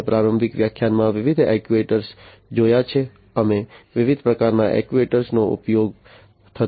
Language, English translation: Gujarati, We have seen different actuators in the introductory lecture, we have seen different types of actuators being used